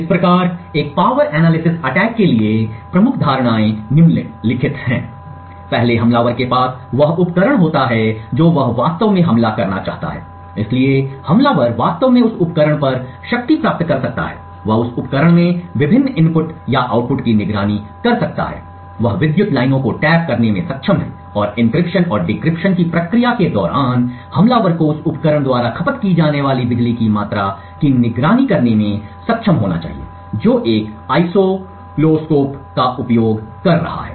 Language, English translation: Hindi, Thus, the major assumptions for a power analysis attack are the following, first the attacker has the device that he wants to actually attack so the attacker can actually power ON this device, he can monitor the various inputs or the outputs from that device and actually he is able to tap into the power lines and during the process of encryption and decryption the attacker should be able to monitor the amount of power consumed by that device using an oscilloscope